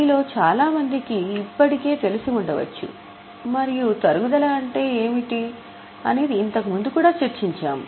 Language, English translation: Telugu, Many of you might already know and we have also discussed what is depreciation earlier